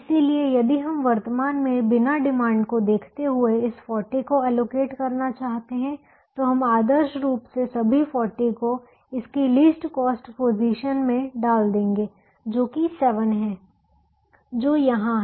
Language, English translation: Hindi, so if we want to allocate this forty without at present looking at the demands, we would ideally put all the forty to its least cost position, which happens to be seven, which happens to be here